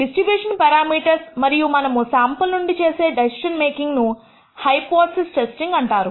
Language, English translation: Telugu, The parameters of the distribution and such decision making that we do from a sample is called hypothesis testing